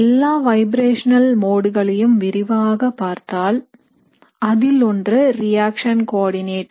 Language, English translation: Tamil, So based on analysis of all the vibrational modes, one is the reaction coordinate